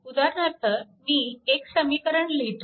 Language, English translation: Marathi, So, you can easily write this equation